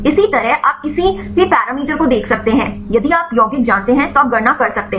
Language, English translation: Hindi, Likewise you can see any parameters; if you know the compound, you can calculate